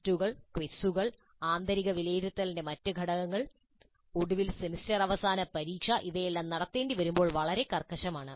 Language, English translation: Malayalam, The tests, the quizzes, other components of internal assessment, and finally the semester and examination, when all these need to be conducted, is fairly rigid